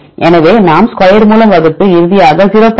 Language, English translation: Tamil, So, then we divided by the square right and finally, get the 0